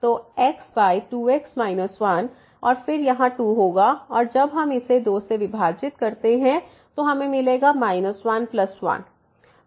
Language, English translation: Hindi, So, over 2 minus 1 and then again here the 2 so, we can divided by 2 and here minus 1 plus 1